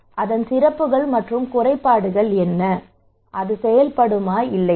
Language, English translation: Tamil, What are the merits and demerits of it okay, will it work or not